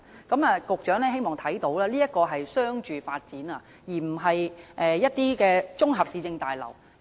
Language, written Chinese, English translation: Cantonese, 我希望局長注意到，這是一個商住發展項目，而非綜合市政大樓。, I hope the Secretary would note that this is a residential cum commercial development project rather than a municipal complex